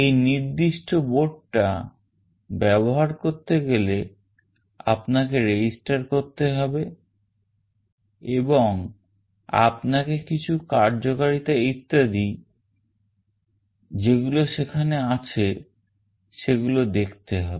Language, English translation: Bengali, For using this particular board you need to register, and you have to also check certain functionalities which are there, etc